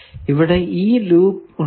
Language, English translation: Malayalam, Now is there any loop